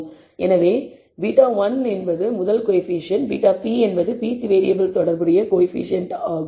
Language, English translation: Tamil, So, beta 1 is the first coefficient, beta p is the coefficient corresponding pth variable